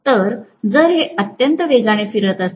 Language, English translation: Marathi, So if it is rotating at a very high speed